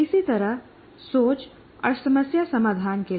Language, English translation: Hindi, Similarly for thinking, similarly for problem solving